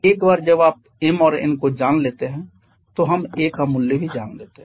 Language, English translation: Hindi, Once you know m and n we also know the value of a